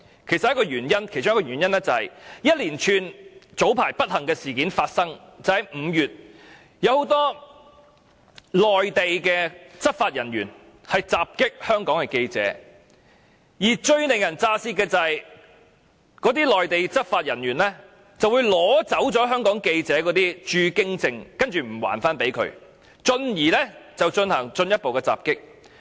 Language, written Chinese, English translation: Cantonese, 其中一個原因就是早前在5月發生一連串不幸事件，有很多內地執法人員襲擊香港的記者，而最令人咋舌的是，那些內地執法人員會取走香港記者的駐京證而不予歸還，繼而進行進一步的襲擊。, One of the reasons is the series of unfortunate events that occurred in May where many Mainland law enforcement officers assaulted journalists from Hong Kong . The most horrifying part is that those Mainland law enforcement officers had taken away the press permits of Hong Kong journalists and did not return them to them and they went further to assault the journalists